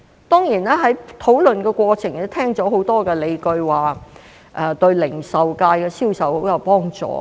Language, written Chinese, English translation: Cantonese, 當然，在討論的過程中，聽到很多理據說對零售界銷售很有幫助。, Certainly during the discussion I heard a lot of arguments that this would be of much help to retail sales